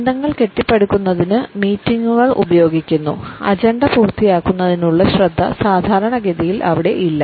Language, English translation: Malayalam, Meetings are used for building relationships the focus on finishing the agenda is not typically over there